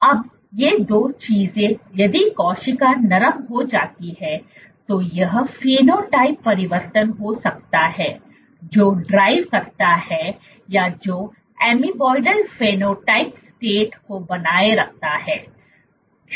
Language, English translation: Hindi, Now, these 2 things if the cell becomes soft can this be a phenotype change, which drives or which sustains the amoeboidal phenotype state